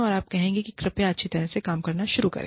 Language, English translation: Hindi, And, you will say, look, you know, please, start working, well